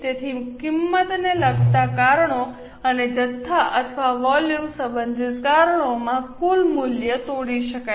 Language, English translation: Gujarati, So, total value can be broken into price related reasons and quantity or volume related reasons